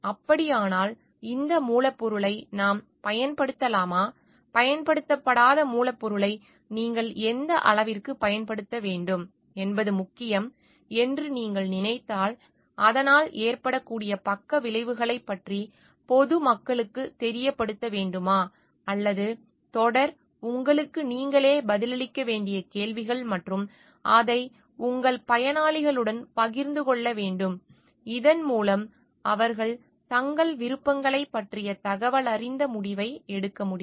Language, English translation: Tamil, So, if that is so then should we may be use this ingredient, not used ingredient if you feel like it is important to what extent you should use it and should we make the public aware of the possible side effects or not or a series of questions that you need to answer to yourself and share it with your beneficiaries at large, so that they can take an informed decision of their choices